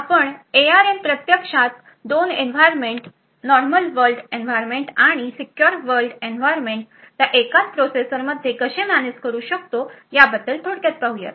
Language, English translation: Marathi, So, we look a little bit about how ARM actually manages this to have two environments secured and the normal world environment within the same processor